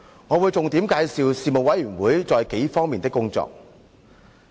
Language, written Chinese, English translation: Cantonese, 我會重點介紹事務委員會在幾方面的工作。, I will focus on introducing a few aspects of the work of the Panel